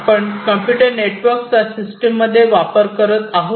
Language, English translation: Marathi, So, we are introducing computers networks into our systems